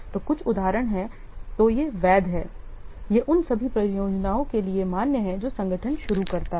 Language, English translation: Hindi, So, some of the examples are, so these are valid, these remain valid for all the projects that the organization undertake